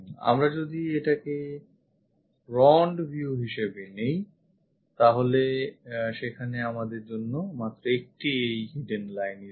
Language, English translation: Bengali, If we are picking this one as the view front view there is only one hidden line we have